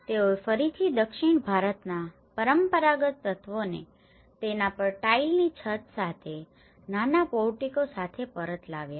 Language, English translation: Gujarati, They again brought back the traditional elements of the south Indian with the tile roof over that and with a small portico